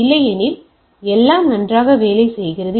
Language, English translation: Tamil, Otherwise everything is working fine